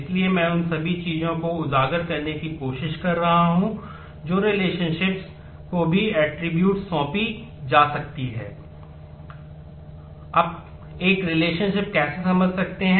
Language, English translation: Hindi, So, all that I am trying to highlight is attributes can be assigned to relationships as well